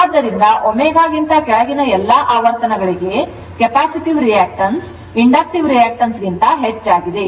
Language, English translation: Kannada, So, all frequencies below omega 0 that capacitive reactance is greater than the inductive reactance right and this is negative theta therefore, theta is negative